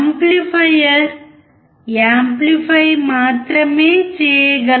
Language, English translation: Telugu, An amplifier can only amplify